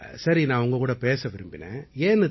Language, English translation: Tamil, I wanted to talk to you